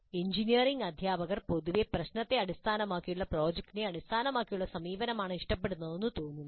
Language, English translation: Malayalam, Engineering educators generally seem to prefer project based approach to problem based one